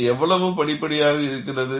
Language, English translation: Tamil, How gradual it is